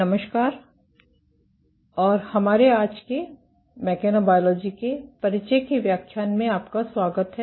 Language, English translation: Hindi, Hello and welcome to our today’s lecture of introduction to mechanobiology